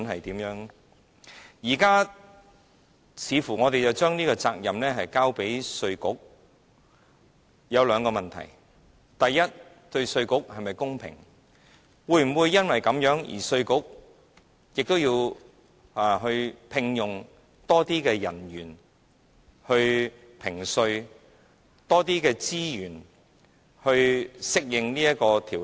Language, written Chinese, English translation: Cantonese, 如今，我們似乎把這個責任交給了稅務局，這裏有兩個問題：第一，對稅務局是否公平，稅務局會否因而要聘用更多人員評稅，用更多資源以適應此法例？, This leads to two questions . First is it fair to IRD? . Will IRD thus have to employ more manpower for tax assessment and use more resources to suit the requirements of this legislation?